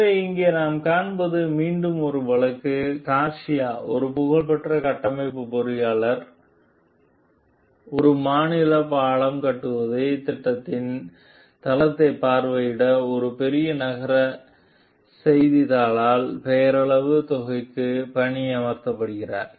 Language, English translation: Tamil, So, what we find over here is again a case: Garcia a renowned structural engineer is hired for a nominal sum by a large city newspaper to visit the site of a state bridge construction project